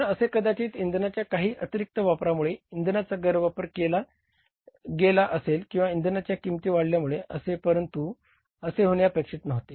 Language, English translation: Marathi, So, whether it has happened because of some extra use of the fuel, misuse of the fuel or the prices of the fuels going up which was not expected